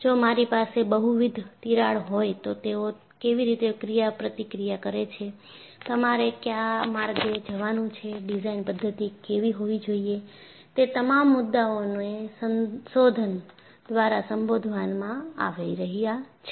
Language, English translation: Gujarati, Now, you have studies, if I have multiple cracks how do they interact, which way you have to go about, what should be the reason for methodology, all those issues are being addressed to research